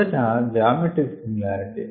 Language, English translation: Telugu, we will have geometric similarity